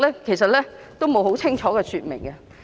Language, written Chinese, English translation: Cantonese, 這些並無清楚說明。, These are not expressly stated